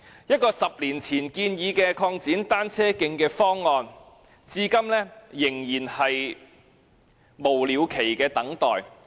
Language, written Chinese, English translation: Cantonese, 一個10年前建議的擴展單車徑的方案，完工日期至今仍是無了期地等待。, A cycle track expansion scheme proposed 10 years ago is still endlessly awaiting the completion date